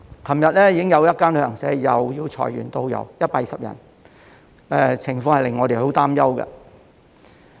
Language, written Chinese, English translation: Cantonese, 昨天已經有一間旅行社又要裁減120名導遊，令我們很擔憂。, Yesterday another tour agency trimmed down 120 tour guides which is a very worrying sign